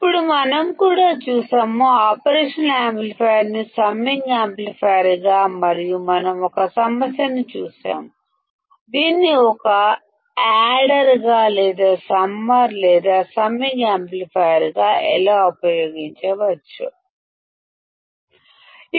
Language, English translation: Telugu, Then we have also seen, the operational amplifier as a summing amplifier and we have seen a problem, how it can be used as a adder or as a summer or the summing amplifier